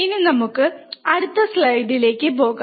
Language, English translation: Malayalam, So, we go to the next slide, what is the next slide